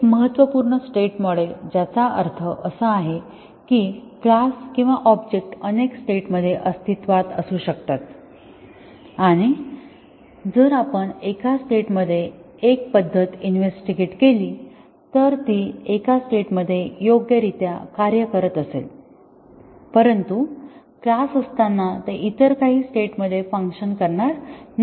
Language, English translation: Marathi, A significant state model that means that a class or an object can exist in a number of states and if we test a method in one of the state it may be working correctly in one state, but it may not be working when the class is in some other state